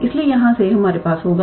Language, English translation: Hindi, So, from here we will have